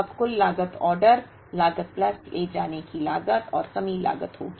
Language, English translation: Hindi, Now, total cost will be order cost plus carrying cost plus shortage cost